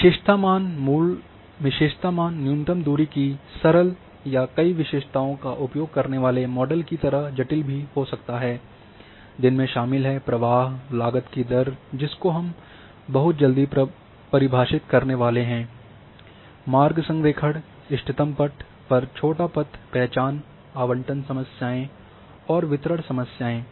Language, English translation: Hindi, So, attributes values may be a simple as minimal distance or more complex involving a model using several attributes defining rate of flow and cost we will see very shortly the examples and the like route alignment, optimal path, shortest path, identification, allocation problems and then distribution problems are there